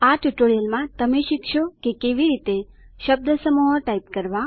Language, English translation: Gujarati, In this tutorial, you will learn how to: Type phrases